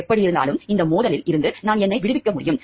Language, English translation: Tamil, Either way I can make myself out of this conflict